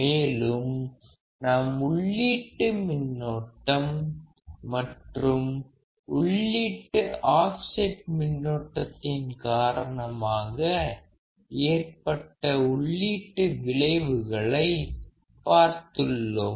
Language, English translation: Tamil, Then we have also seen the input effect of the input bias current, input offset current and how we can determine them given the values of input offset and input bias current